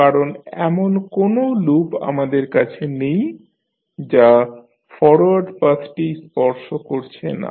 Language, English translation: Bengali, Because, we do not have any loop which is not touching the forward path